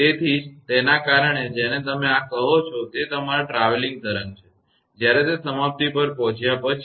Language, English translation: Gujarati, So, that is why your what you call this is your travelling wave, when it is after arrival at the termination